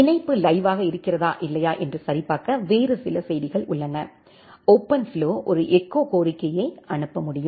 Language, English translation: Tamil, There are some other messages like to check the connection aliveness, whether the connection is alive or not, OpenFlow can send an echo request